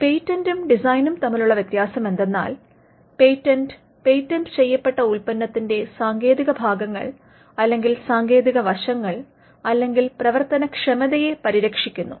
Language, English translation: Malayalam, So, the difference between a patent and a design is that the patent if it manifests in a product, the patent protects the technical parts or the technical aspects or the functional aspects, whereas the design is for the non functional aspects of a product